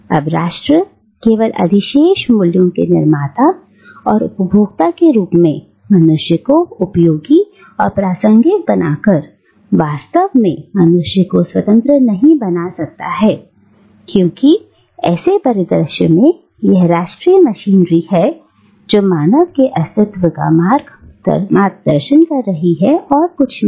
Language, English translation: Hindi, Now, nation, by making man useful and relevant only as a producer and consumer of surplus value, actually makes man un free because in such a scenario it is the national machinery which is guiding the existence of human beings and not the other way around